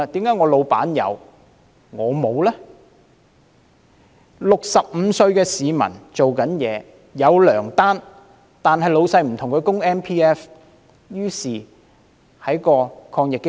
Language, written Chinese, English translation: Cantonese, 一名65歲的在職市民，有糧單，但老闆不替他的 MPF 供款，於是他無法受惠於抗疫基金。, There was a 65 - year - old employee who has pay slips but his employer has not made Mandatory Provident Fund MPF contributions for him so he cannot benefit from AEF